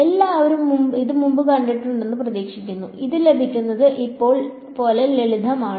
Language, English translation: Malayalam, Hopefully everyone has seen this before, this is as simple as it gets